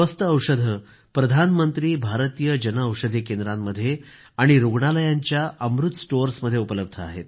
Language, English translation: Marathi, Affordable medicines are now available at 'Amrit Stores' at Pradhan Mantri Bharatiya Jan Aushadhi Centres & at hospitals